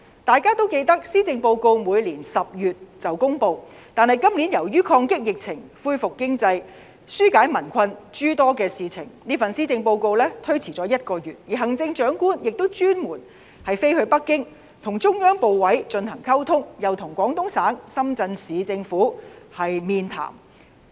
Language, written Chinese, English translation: Cantonese, 大家都記得施政報告每年10月便會公布，但今年由於抗擊疫情、恢復經濟和紓解民困等諸多事情，這份施政報告推遲了1個月公布，而行政長官亦特地前往北京與中央部委進行溝通，又與廣東省深圳市政府面談。, Members should remember that the policy address is publicized in October every year . But in view of this years ongoing efforts to fight the pandemic to promote the recuperation of the economy to alleviate the hardship of the people and a host of other problems the delivery of the Policy Address was delayed by one month . In the meantime the Chief Executive had also travelled to Beijing to seek communication with ministries and commissions of the Central Government as well as to meet up with the Shenzhen Municipal Government of the Guangdong Province